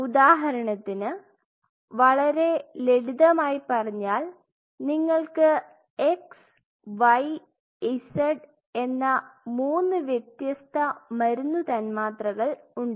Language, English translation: Malayalam, So, now, say for example, to keep it simple you have three different drug molecules x y and z right